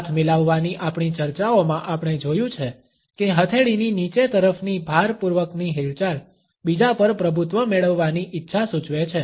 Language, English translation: Gujarati, In our discussions of handshake we have seen that a thrust downward movement of the palm, suggest the desire to dominate the other